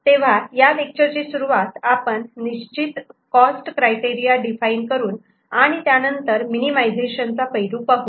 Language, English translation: Marathi, So, we shall begin this particular lecture by defining certain cost criteria and then we shall look into the minimization aspect